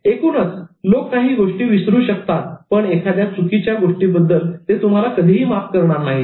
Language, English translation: Marathi, Overall, people can forget things but they can never forgive the wrong doings